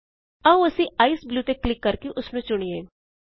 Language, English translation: Punjabi, Let us choose Ice Blue, by clicking on it